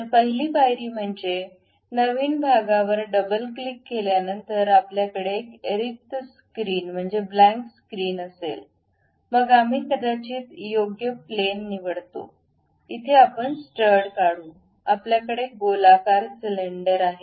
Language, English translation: Marathi, So, the first step is after double clicking a new part, we will have a blank screen, then we pick a one of the plane perhaps right plane normal to right plane we will draw a stud is basically a circular cylinder we have